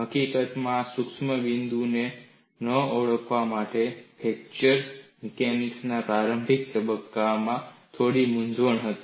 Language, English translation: Gujarati, In fact, quite a bit of confusion was there in the initial stages of fracture mechanics for not recognizing this subtle point